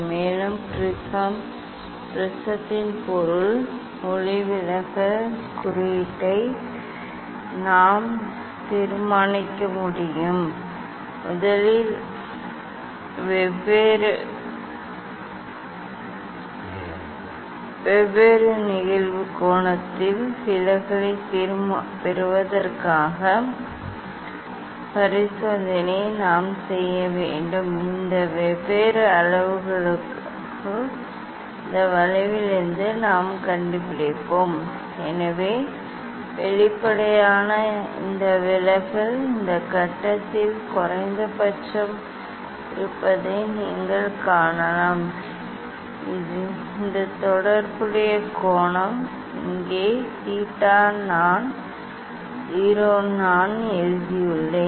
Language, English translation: Tamil, Basically, from this experiment we can find out the angle of minimum deviation, then we can calculate the angle of prism Also we can determine the refractive index of the material of the prism first we have to do the experiment for getting deviation at different incident angle and then these different parameters we will find out from this curve So obviously, you can see this deviation is minimum at this point; this corresponding this corresponding angle is here theta i 0 I have written